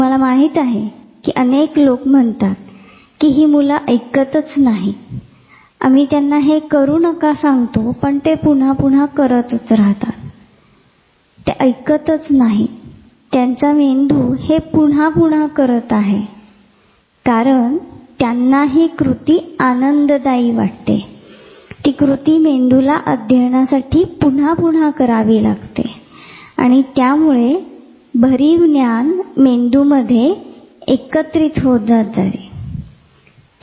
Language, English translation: Marathi, So, difficult lot of people will say this kids do not listen, then we tell them not to do it, they will keep do it again and again, you know they are not doing it again and again, their brain is doing it again and again because they find it activity pleasurable the brain has to keep doing to learn to make and consolidate that solid knowledge in the brain